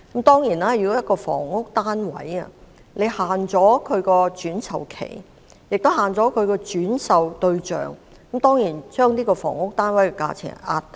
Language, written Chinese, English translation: Cantonese, 當然，如果限制一個房屋單位的轉售期和轉售對象，便會壓低該房屋單位的價錢。, The restrictions on resale period and resale target of a housing unit will certainly lower the price of the unit